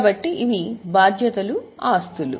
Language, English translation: Telugu, So, this is liability as assets